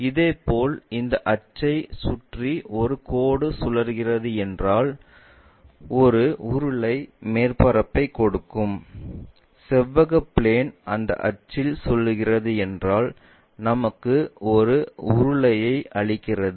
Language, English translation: Tamil, Similarly, a line revolves around this axis give us cylindrical surface; a plane rectangular plane revolving around that axis gives us a cylinder